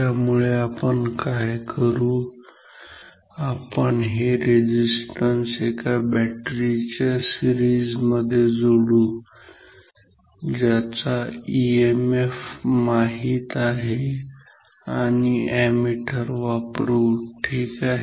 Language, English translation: Marathi, So, what I can do; I can connect this resistance in series with battery, with known emf and nanometer may be an ammeter ok